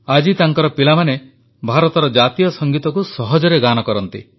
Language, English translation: Odia, Today, his children sing the national anthem of India with great ease